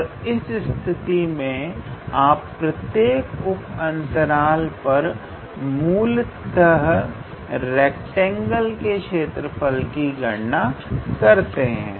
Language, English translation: Hindi, And then in that case this in on every sub interval you are basically calculating the area of a rectangle